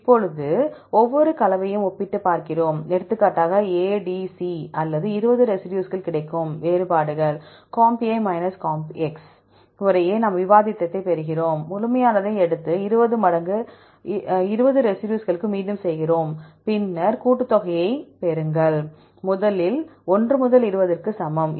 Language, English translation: Tamil, Now, we take compare each composition for example, A, D, C or 20 residues get the differences, comp comp respectively, we get the difference, take the absolute and repeat for 20 times 20 residues, then get the summation, i equal 1 to 20